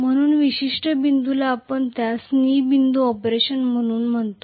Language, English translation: Marathi, So, that particular point we call that as a knee point of operation